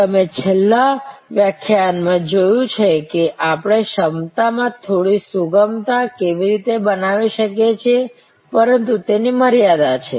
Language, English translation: Gujarati, You have seen in the last lecture, how we can create some flexibility in the capacity, but that has limitation